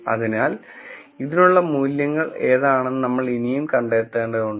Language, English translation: Malayalam, So, we still have to figure out what are the values for this